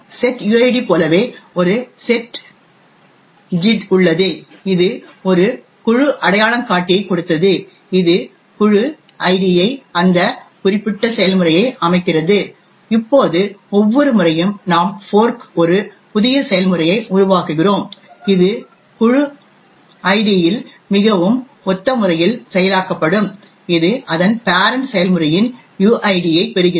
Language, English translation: Tamil, So similar to the setuid we also have a setgid, given a group identifier which sets the group id that particular process, now every time we fork and create a new process, which I will process would in the group id in a very similar way as it inherits the uid of its parent process